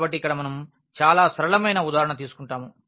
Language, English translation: Telugu, So, here we take a very simple example